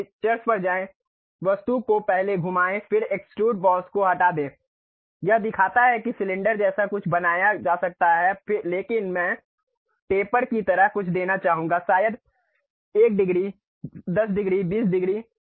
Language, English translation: Hindi, Then go to Features; rotate the object first, then extrude boss it shows something like cylinder can be made, but I would like to give something like taper maybe 1 degree, 10 degree, 20 degree